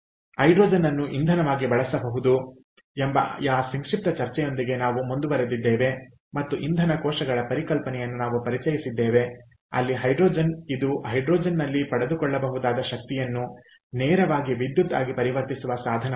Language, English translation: Kannada, so with that brief discussion at hydrogen as fuel, we moved on to and we introduce the concept of fuel cells, where hydrogen, which is a device that cons, that converts the energy trapped in hydrogen directly into electricity